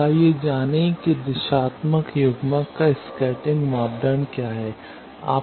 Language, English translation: Hindi, Now, let us find what is the scattering parameter of this directional coupler